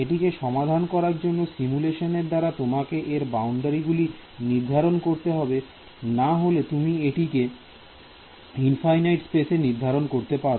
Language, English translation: Bengali, Now where do you to solve this simulation you need to terminate the boundary somewhere otherwise you I mean you can simulate infinite space